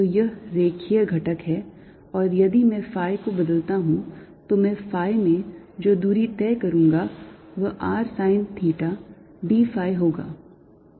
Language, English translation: Hindi, and if i change phi, the distance i cover in phi is going to be r sine theta d phi